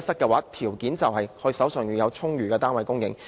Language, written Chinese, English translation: Cantonese, 先決條件就是充裕的單位供應。, The prerequisite is an ample supply of flats